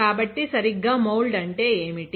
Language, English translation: Telugu, So, what exactly mould means, right